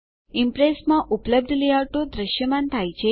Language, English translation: Gujarati, The layouts available in Impress are displayed